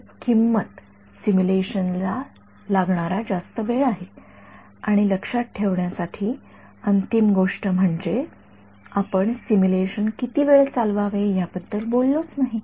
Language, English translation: Marathi, So, the price is longer simulations and the final sort of thing to keep in mind is, we have not spoken about how long to run the simulation for right